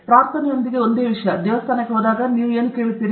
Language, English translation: Kannada, The same thing with prayer; when you go to a temple, what do you ask